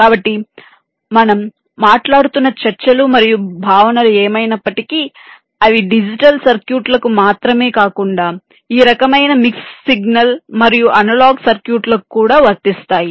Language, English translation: Telugu, so whatever discussions and concepts we would be talking about, they would apply not only to digital circuits but also to this kind of mix signal and analog circuits as well